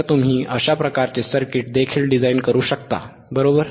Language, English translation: Marathi, So, you can also design this kind of circuit, right